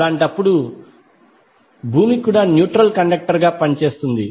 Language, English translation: Telugu, So in that case the earth itself will act as a neutral conductor